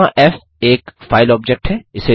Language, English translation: Hindi, Here f is called a file object